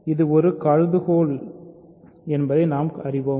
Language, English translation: Tamil, So, we know that this is a hypothesis right